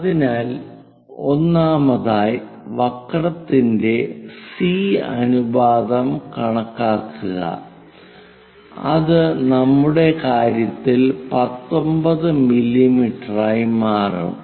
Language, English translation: Malayalam, So, first of all, calculate that ratio C of the curve which will turns out to be 19 mm in our case